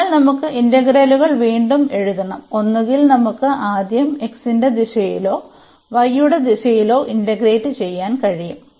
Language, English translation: Malayalam, So, we have to write the integrals and again the question that we either we can integrate first in the direction of x or in the direction of y